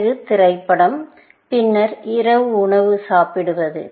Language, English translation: Tamil, movie, and then, eating on dinner